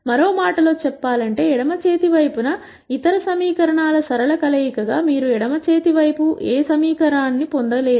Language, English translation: Telugu, In other words you can never get any equation on the left hand side as a linear combinations of other equations on the left hand side